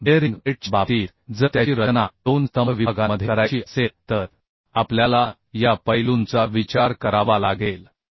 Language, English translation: Marathi, So in case of bearing plate if it is to be designed between two column sections then we have to consider these aspects